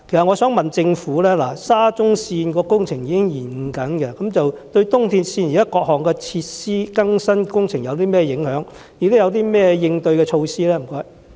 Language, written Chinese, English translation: Cantonese, 我想問政府，沙中線工程現正出現延誤，對東鐵線現時各項設施更新工程有何影響？當局有何應對措施？, I would like to ask the Government what impact the present delay of the SCL project will have on the enhancement project for the various facilities of ERL and whether the authorities have any counter - measures